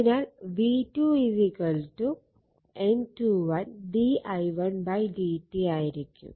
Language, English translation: Malayalam, So, that is v 2 is equal to N 2 d phi 1 2 upon d t